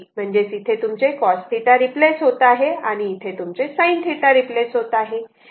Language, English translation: Marathi, So, accordingly this here it is cos theta and here this one is your sin theta